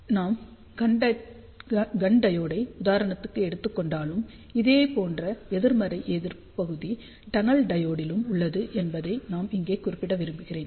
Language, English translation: Tamil, I just want to mention here, even though we took example of Gunn diode, but similar negative resistance region or they are for impart diode, tunnel diode